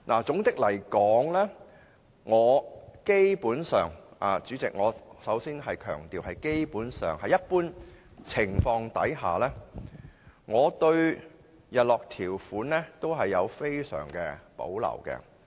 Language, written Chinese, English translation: Cantonese, 總括而言，代理主席，首先我要強調，基本上，在一般情況下，我對日落條款也非常有保留。, All in all Deputy Chairman I must first emphasize that under usual circumstances I have great reservations about sunset clauses